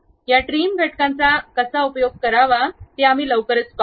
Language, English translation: Marathi, We will shortly see how to use these trim entities